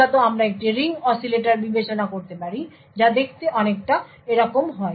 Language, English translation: Bengali, So, essentially, we could consider a Ring Oscillators that looks something like this